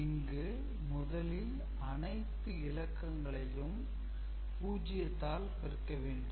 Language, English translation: Tamil, So, if you are multiplying 0 with 0